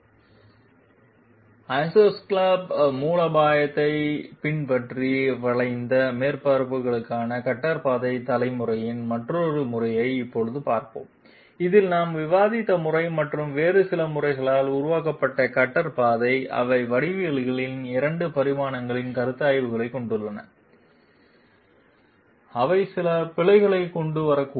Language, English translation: Tamil, Now we will look at another method of cutter path generation for curved surfaces following the iso scallop strategy in which it was it was observed that the cutter path generated by the method that we have discussed and some other methods, they have 2 dimensional considerations of geometries, which may bring in some errors